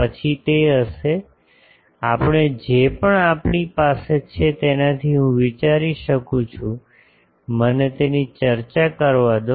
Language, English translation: Gujarati, Then there will be; so, we can I think from whatever we have also this thing let me discuss that